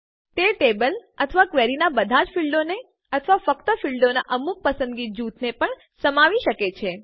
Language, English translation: Gujarati, They can also contain all the fields in the table or in the query, or only a selected group of fields